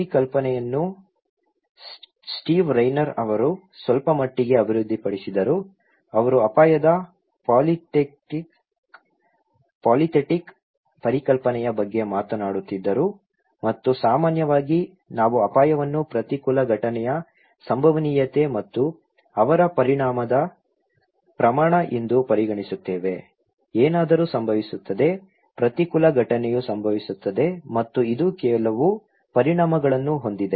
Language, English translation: Kannada, This idea was then little further developed by Steve Rayner, he was talking about polythetic concept of risk and that in generally, we consider risk is the probability of an adverse event and the magnitude of his consequence right, something will happen, an adverse event will happen and it has some consequences